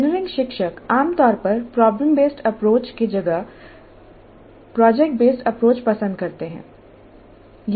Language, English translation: Hindi, Engineering educators generally seem to prefer project based approach to problem based one